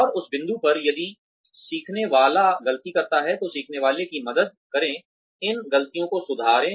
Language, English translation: Hindi, And at that point, if the learner makes mistakes, then help the learner, correct these mistakes